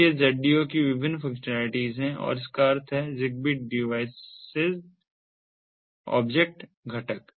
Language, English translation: Hindi, so these are the different functionalities of the zdo, that that means the zigbee device object component